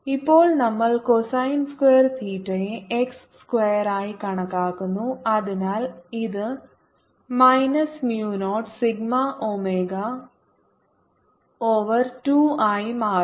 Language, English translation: Malayalam, now we take cosine square theta to be x square, so this becomes minus mu zero sigma omega over two at theta equals zero, cosine theta is one